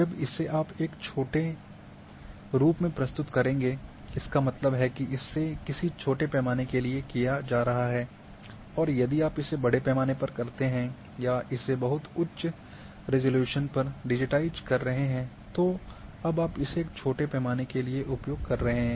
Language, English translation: Hindi, When you will present in a small form; that means, going for a very smaller scale you first you should go if you are having for large scale or digitize at very high resolution now you are using for a smaller scale